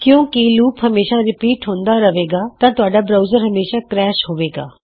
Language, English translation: Punjabi, So since the loop will always be repeated, your browser will crash